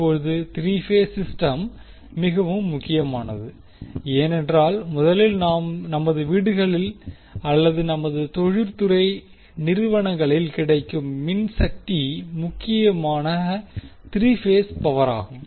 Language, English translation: Tamil, Because, there are 3 major reasons of that, first, the electric power which we get in our houses or in our industrial establishments are mainly the 3 phase power